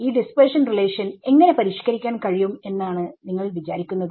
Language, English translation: Malayalam, So, these dispersion relation how do you think it will get modified